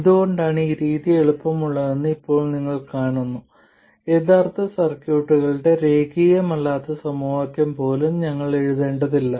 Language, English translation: Malayalam, Now you see why this method is easier, we don't even need to write the nonlinear equations of the original circuit